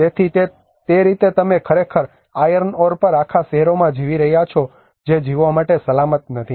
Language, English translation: Gujarati, So in that way you are actually living on the whole cities on an iron ore which is not safe for living